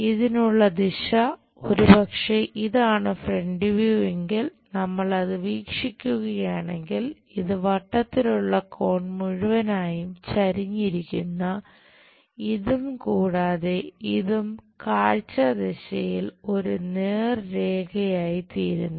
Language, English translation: Malayalam, The direction for this perhaps this is the front view if we are looking that, this entire round corner and the slant one and this one in the view direction makes a straight line